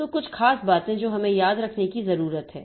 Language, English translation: Hindi, So, certain things that we need to remember